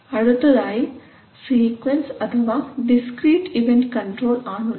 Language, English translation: Malayalam, Similarly you have sequence or discrete event control